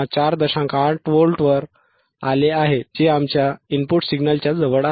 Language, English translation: Marathi, 8 which is close to our input signal right